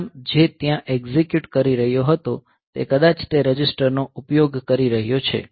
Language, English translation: Gujarati, So, that main; the program that was executing there might be using those registers